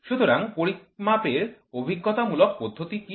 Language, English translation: Bengali, So, what is empirical method of measurements